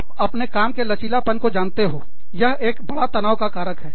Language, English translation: Hindi, You know, flexibility in your job conditions, is a big, big, big, stressor